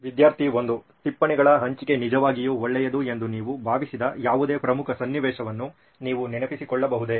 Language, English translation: Kannada, Can you remember of any important situation where you felt sharing of notes would have been really nice